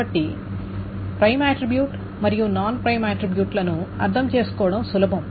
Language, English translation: Telugu, So prime attribute or non prime attribute should be easy to understand